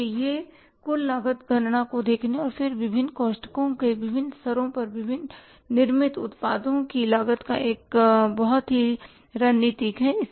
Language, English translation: Hindi, So, it is a very strategic way of looking at the total cost calculation and then costing the products being manufactured at the different levels of the different brackets